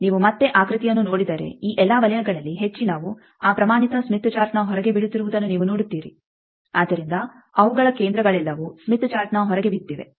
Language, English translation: Kannada, If you see again the figure you will see that all these circles most of them are falling outside of that standard smith chart, so their centers are all lying outside the smith chart